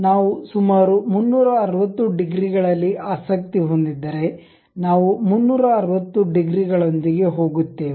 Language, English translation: Kannada, If we are interested about 360 degrees, we go with 360 degrees